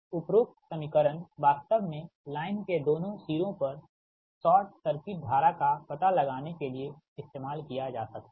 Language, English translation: Hindi, the above equation actually can views to find the short circuit current at both ends of the line right